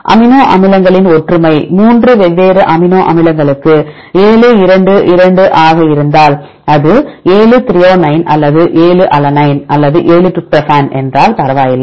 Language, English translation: Tamil, Similarity of amino acids if it is 7 2 2 for the 3 different amino acids present at the position, it does not matter if it is 7 is threonine or 7 is alanine or 7 is tryptophan